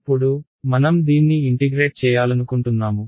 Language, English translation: Telugu, Now, I want to integrate this